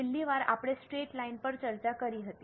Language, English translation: Gujarati, Last time we had discussed straight line